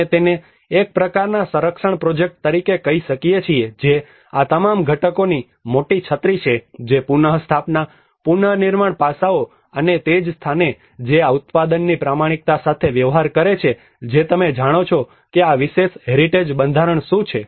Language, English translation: Gujarati, We can call it as a kind of conservation project which is a bigger umbrella of all these components which can go into restoration, the reconstruction aspects and that is where we deal with the authenticity of the product you know what this particular heritage structure belongs to